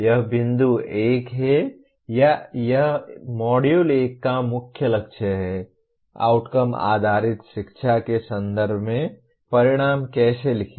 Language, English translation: Hindi, This is the point or this is the main goal of the Module 1, how to write outcomes in the context of Outcome Based Education